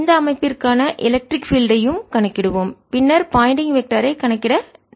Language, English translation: Tamil, we will also calculate the electric field for this system and then on we'll move to calculate the pointing vector